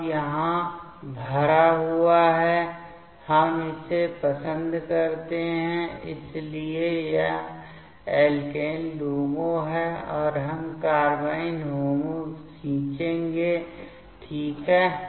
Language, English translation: Hindi, Now, filled up so here, we can like this so this is the alkene LUMO now we will draw the carbene HOMO ok